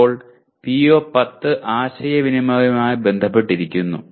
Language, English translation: Malayalam, Then PO10 is related to communication